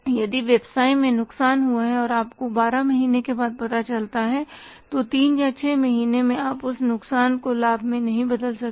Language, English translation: Hindi, If business has incurred a loss and you come to know after 12 months or 3 or 6 months you can convert that loss into profit